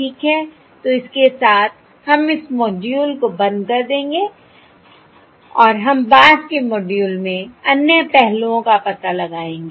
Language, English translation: Hindi, Alright, So with this we will stop this module and we will explore other aspects in subsequent modules